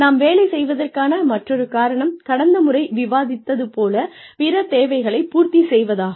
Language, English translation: Tamil, The other reason, why we take up jobs, is to fulfil other needs, like we discussed, last time